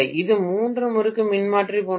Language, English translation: Tamil, This is like a three winding transformer